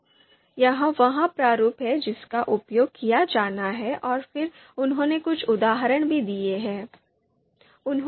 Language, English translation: Hindi, So, this is the format that is to be used and then they have given the examples also